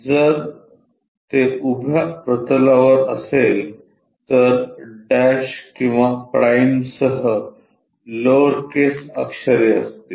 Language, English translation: Marathi, If it is on vertical plane there will be lower case letters with dash or prime